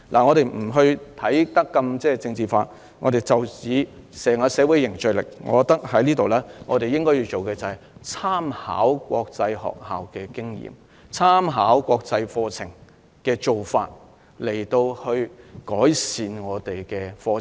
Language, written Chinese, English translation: Cantonese, 我們不想將這個問題政治化，但就社會凝聚力而言，我們應該參考國際學校的經驗和國際課程的做法，以改善本地教育和課程。, We do not wish to politicize this issue but in relation to fostering social solidarity we should learn from the experience of international schools and how they run the international curriculum in order to improve the local education and curriculum